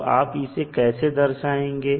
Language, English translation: Hindi, So, how you will represent them